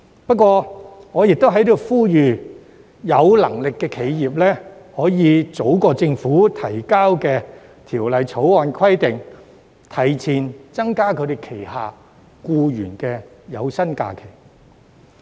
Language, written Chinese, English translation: Cantonese, 然而，我在此呼籲有能力的企業，可以早在《條例草案》建議的生效日期前，增加轄下僱員的法定假日。, However I hereby call on capable enterprises to increase SHs for their employees before the commencement dates proposed in the Bill